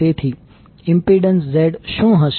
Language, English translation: Gujarati, So what is the impedance Z